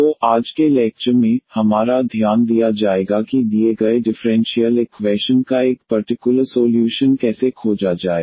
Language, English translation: Hindi, So, in today’s lecture, our focus will be how to find a particular solution of the given differential equation